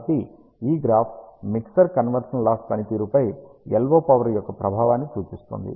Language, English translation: Telugu, So, this graph represents the effect of LO power on the mixer conversion loss performance